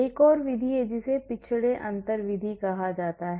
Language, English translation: Hindi, So, there is another method that is called the backward difference method